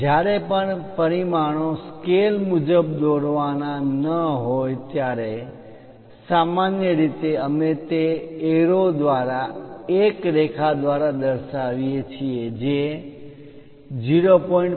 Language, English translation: Gujarati, Whenever there are not to scale dimensions, usually, we represent it by that arrow a line indicating 0